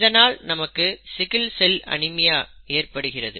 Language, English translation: Tamil, And therefore, we get sickle cell anaemia, right